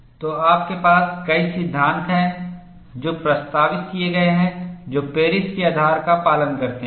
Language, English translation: Hindi, So, you have many laws that have been proposed, which follow the basis of Paris